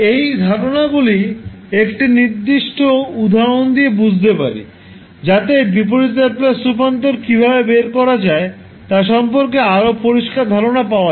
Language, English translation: Bengali, So, to understand these concepts, let us understand with the help one example, so that you are more clear about how to proceed with finding out the inverse Laplace transform